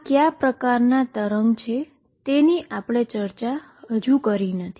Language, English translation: Gujarati, What we have not said what kind of waves these are